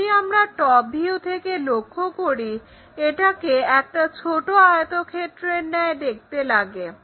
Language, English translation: Bengali, If we are looking from top view it looks like a smaller kind of rectangle